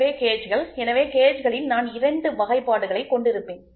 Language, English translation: Tamil, So, gauges, so in gauges then I will write to have two classifications